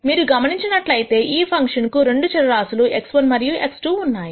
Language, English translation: Telugu, As you can notice this is a function of two variables x 1 and x 2